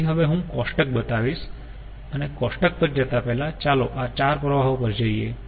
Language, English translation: Gujarati, so now i show the table ah, before ah going to the table, let us go ah to this um ah, four streams